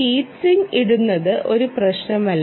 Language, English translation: Malayalam, putting a heat sink is also not an issue, right